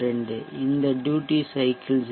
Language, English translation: Tamil, 72, how did we get this duty cycle 0